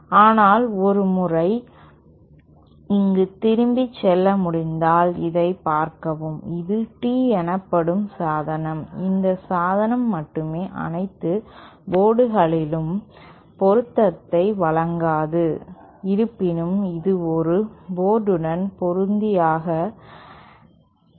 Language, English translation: Tamil, But if we can go back here once, see this only this T device called Tee, only this device does not provide matching at all ports, however it can be matched at a single port